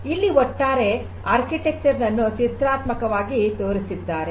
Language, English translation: Kannada, So, this is this overall architecture pictorially it is shown over here